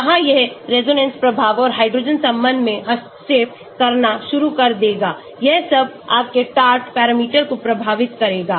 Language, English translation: Hindi, there it will start interfering the resonance effect and hydrogen bonding all this will affect your Taft parameter